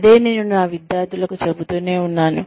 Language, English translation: Telugu, That is what, I keep telling my students